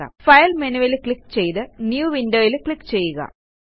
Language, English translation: Malayalam, Lets click on the File menu and click on New Window